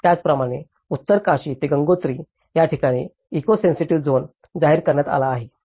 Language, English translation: Marathi, Similarly, in Uttarkashi to Gangotri, where the eco sensitive zone has been declared